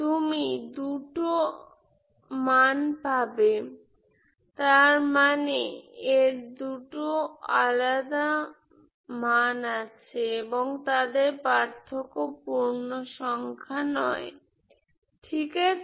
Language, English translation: Bengali, You will find two k values for which those two k values a different, they are distinct and their difference is non integer, okay